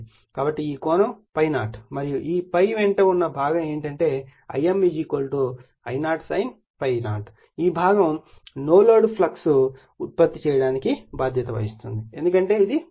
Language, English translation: Telugu, So, this angle is ∅0 and it is your what your call component along ∅ is I m = your I0 sin ∅, this component is responsible for producing that your no load flux because this is ∅0